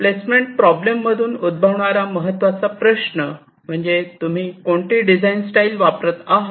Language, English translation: Marathi, so the main issues that arise out of the placement problem, this depends on the design style used